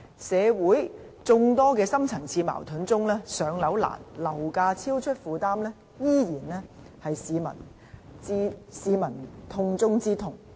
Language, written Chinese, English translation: Cantonese, 社會眾多深層次矛盾之中，"上樓難"和樓價超出負擔能力仍然是市民的"痛中之痛"。, Of the various deep - seated conflicts in society difficulties in being allocated public rental housing PRH units as well as unaffordable property prices are still the greatest pains of members of the public